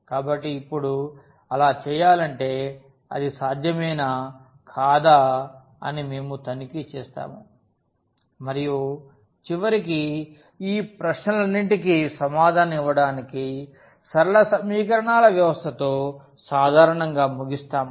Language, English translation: Telugu, So, now, to do so, we will check whether it is possible or not and eventually we end up usually with the system of linear equations to answer all these questions